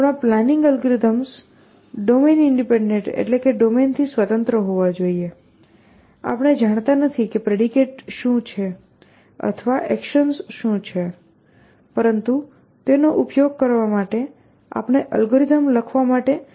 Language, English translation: Gujarati, Our planning algorithms have to be domain independent, we do not know what are the predicates or what are the actions, but we should be able to still write an algorithm to use that